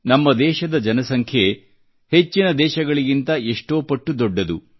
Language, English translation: Kannada, Our population itself is many times that of most countries